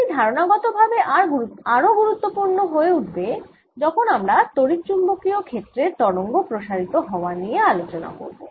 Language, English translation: Bengali, this becomes conceptually very important later when we talk about electromagnetic waves, of fields propagating